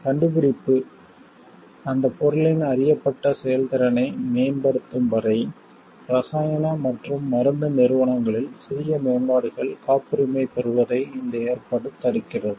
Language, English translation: Tamil, This provision prevents patenting of minor improvements in chemical and pharmaceutical entities unless the invention results in the enhancement of known efficacy of that substance